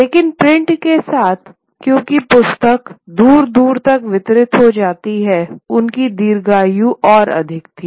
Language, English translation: Hindi, But with print because the book gets distributed far and wide, they had greater longevity